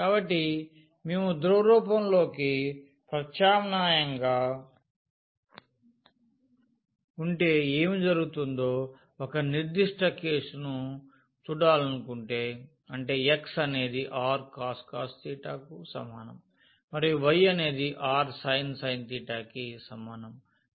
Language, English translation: Telugu, So, if we want to see a particular case that what will happen if we substitute into the polar form; that means, x is equal to r cos theta and y is equal to r sin theta